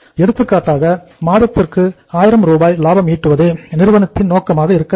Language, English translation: Tamil, For example the company’s objective is that the profit should be 1000 Rs per month